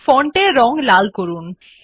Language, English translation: Bengali, Change the font color to red